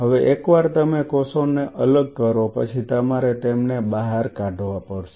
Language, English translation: Gujarati, Now once you separate the cells now you have to pull them out